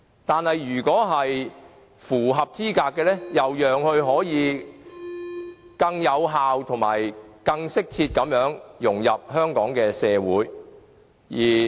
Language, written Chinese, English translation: Cantonese, 但是，如果是符合資格的，亦要讓他可以更有效及更適切地融入香港社會。, Nevertheless if claimants are found to be eligible we should ensure them to effectively and properly integrate into the Hong Kong society